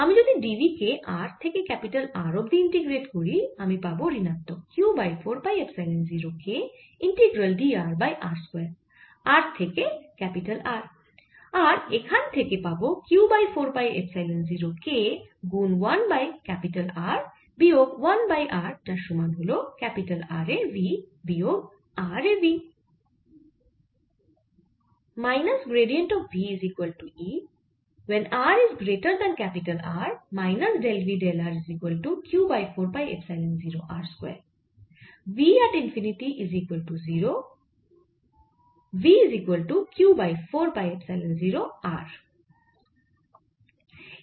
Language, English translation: Bengali, so if i integrate d v from to capital r, its going to be minus q over four pi epsilon zero k integral d r over r square from r to capital r, and this gives me q over four pi epsilon zero k one over r r